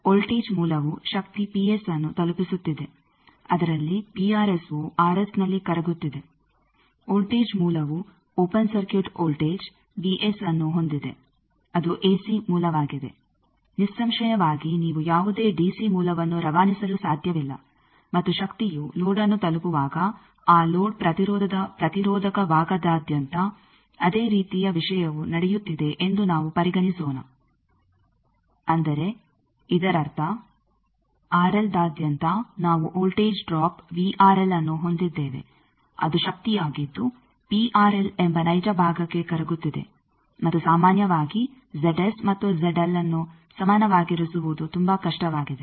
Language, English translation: Kannada, The voltage source is delivering a power p s out of that p R S is getting dissipated in the r s, voltage source is having an open circuited voltage of v s it is an ac source; obviously, because you cannot transmit any d c source and let us consider that similar thing is happening that, when the power is reaching the load the across the resistive part of that load impedance; that means, across R L we have a voltage drop which is v R L a power that is getting dissipated into that real part that is p R L and in general it is very difficult to have this Z S and Z L equal